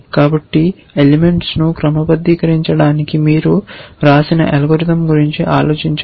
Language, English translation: Telugu, So, just think of you have written a algorithm for sorting elements